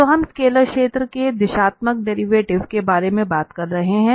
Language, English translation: Hindi, So we are talking about the directional derivative of scalar field